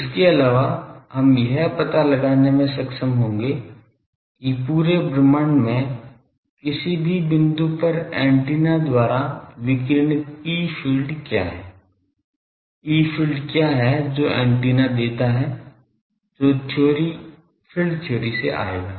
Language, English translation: Hindi, Also we will be able to find out what are the fields radiated by the antenna at any point in the whole universe; what is the field that antenna gives that will come from field theory